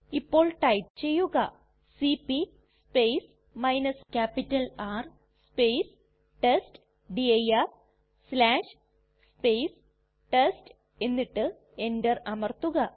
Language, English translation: Malayalam, Now we type cp R testdir/ test and press enter